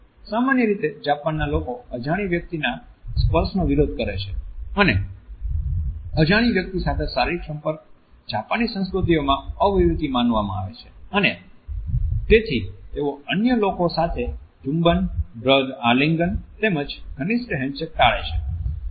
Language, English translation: Gujarati, The Japanese in general are considered to be opposed to the touch of a stranger and bodily contact with a stranger is considered to be impolite in the Japanese culture and therefore they avoid kisses, the beer hugs as well as even intimate handshakes with others